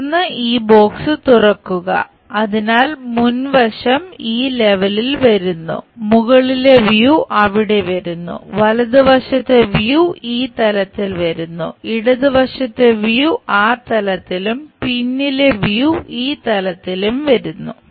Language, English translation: Malayalam, Then, unfold this box, so the front view comes at this level; the top view comes there; the right side view comes at this level; the left side view comes at that level and the back side view comes at this level